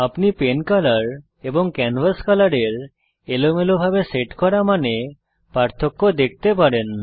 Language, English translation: Bengali, You can see the difference in randomly set values of pen color and canvas color